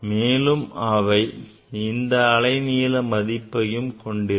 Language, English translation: Tamil, There are range of this wavelength